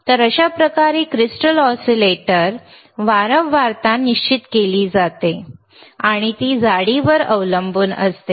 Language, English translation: Marathi, So, this is how the crystal frequency crystal oscillator frequency is determined and it has to depend on the thickness